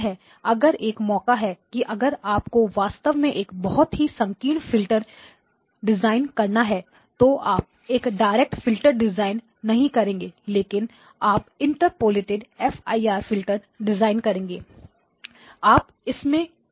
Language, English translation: Hindi, Hopefully, if there is a chance that if you have to actually design a very narrow filter you will not do a direct filter design you will do and Interpolated FIR design